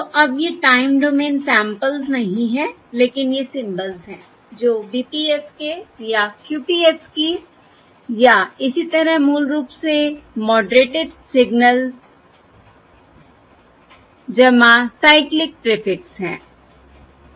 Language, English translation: Hindi, So now these are not the time domain samples, but these are the symbols, that is, BPSK or QPSK or so on, basically moderated signals plus the cyclic prefix